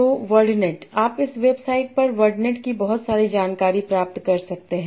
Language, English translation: Hindi, So, WordNet, you can get a lot of information about WordNet on this website